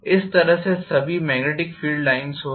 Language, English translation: Hindi, This is all the magnetic field lines will be